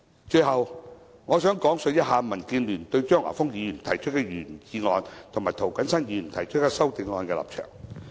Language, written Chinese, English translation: Cantonese, 最後，我想講述民建聯對張華峰議員提出的原議案，以及涂謹申議員提出修正案的立場。, Finally I would like to talk about the stance of DAB towards the original motion moved by Mr Christopher CHEUNG and the amendment moved by Mr James TO